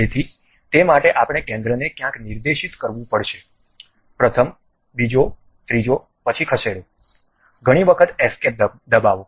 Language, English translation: Gujarati, So, for that we have to specify somewhere like center, first one, second one, third one, then move, press escape several times